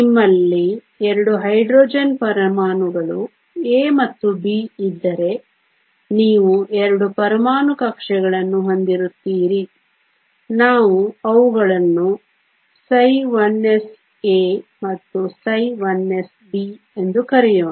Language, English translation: Kannada, If you have 2 Hydrogen atoms A and B you will have 2 atomic orbitals, let us call them psi 1 s A and psi 1 s B